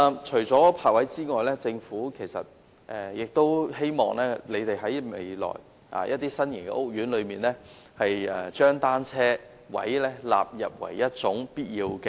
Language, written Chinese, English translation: Cantonese, 除了泊位之外，我亦希望政府在未來的新型屋苑內，將單車泊位納入為必要設計。, Apart from parking spaces for private cars I also hope that the Government will include bicycle parking spaces as a necessary feature in the design of new housing estates in future